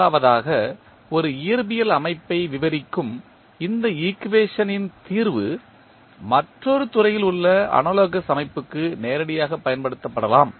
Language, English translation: Tamil, One is that, the solution of this equation describing one physical system can be directly applied to the analogous system in another field